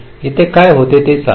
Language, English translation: Marathi, let say what happens here